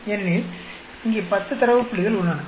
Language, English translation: Tamil, Because there are 10 data points here